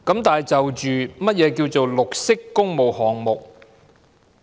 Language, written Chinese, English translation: Cantonese, 然而，何謂綠色工務項目？, However what are green public works projects?